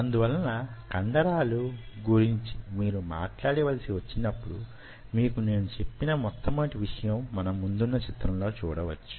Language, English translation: Telugu, so when you talk about muscle, if you remember, the first thing, what we told you is: this is the picture right out here